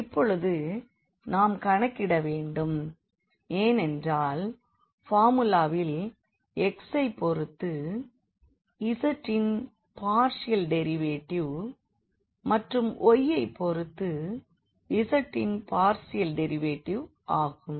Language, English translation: Tamil, And, now we need to compute because in the formula we need the partial derivative of z with respect to x and also the partial derivative of z with respect to y